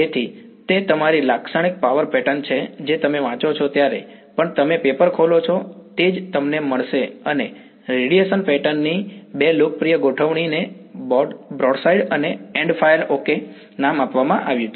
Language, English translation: Gujarati, So, that is your typical power pattern which you even you open papers you read that is what you will find and two popular configurations of radiation patterns are given names broadside and endfire ok